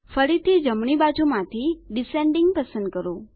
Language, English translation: Gujarati, Again, from the right side, select Descending